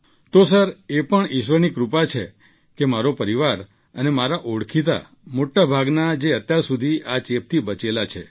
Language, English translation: Gujarati, So sir, it is God's grace that my family and most of my acquaintances are still untouched by this infection